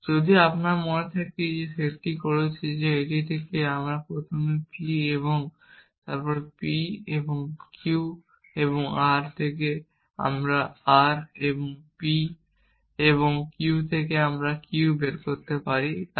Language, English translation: Bengali, So, we had if you remember we had set that from this we can first derive p and then from p and p and r we can derive r and then from p and q we can derive q then from q and not q or s